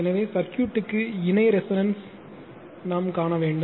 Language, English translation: Tamil, So, this is you have to see the parallel resonance of the circuit